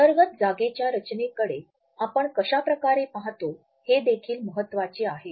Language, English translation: Marathi, It is also equally important in the way we look at the space design of the interior